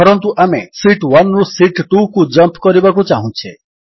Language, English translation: Odia, Lets say we want to jump from Sheet 1 to Sheet 2